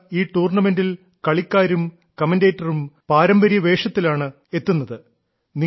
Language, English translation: Malayalam, Not only this, in this tournament, players and commentators are seen in the traditional attire